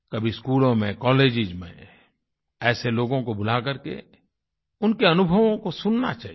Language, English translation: Hindi, These people should be invited to schools and colleges to share their experiences